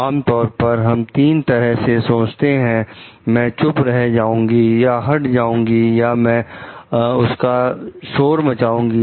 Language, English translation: Hindi, So, like generally we think of three ways like I were to keep quiet or to quit or to blow the whistle